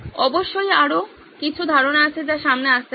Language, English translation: Bengali, Of course there are several other ideas that can keep coming up